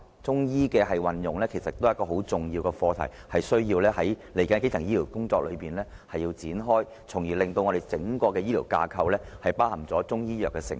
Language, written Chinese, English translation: Cantonese, 中醫的運用也是很重要的課題，需要在接下來的基層醫療工作上展開，從而令整個醫療架構包含中醫藥的成分。, The application of Chinese medicine is also a very important issue which needs to be studied in the subsequent work on primary health care so that Chinese medicine can be incorporated in the entire health care structure